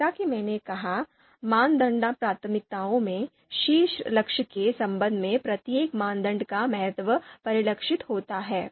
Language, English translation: Hindi, So criteria priorities as I said importance of each criterion with respect to the top goal that is reflected